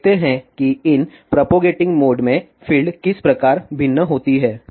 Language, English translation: Hindi, Now, let us see how field varies in these propagating modes